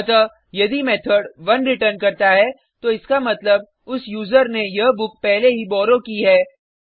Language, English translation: Hindi, So, If the method returns 1 then it means the same user has already borrowed this book